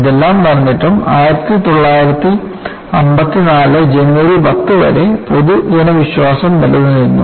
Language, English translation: Malayalam, With all thus, the public confidence was intact until 10th January 1954